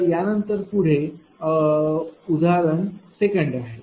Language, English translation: Marathi, So, next one is say example 2